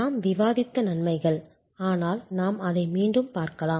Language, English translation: Tamil, The advantages we have discussed, but we can again look at it